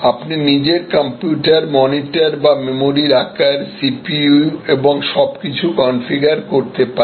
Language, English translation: Bengali, You can configure your own computer, the monitor or the memory size, the kind of CPU and everything